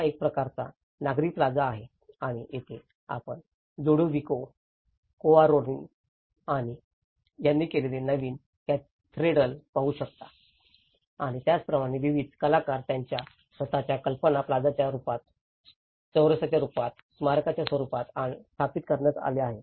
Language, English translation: Marathi, It is a kind of civic plaza and here, you can see the new cathedral by Ludovico Quaroni and like that various artists have come to install their own ideas in the form of plazas, in the form of squares, in the form of monuments, in the form of buildings, in the form of housing, also some smaller level of artwork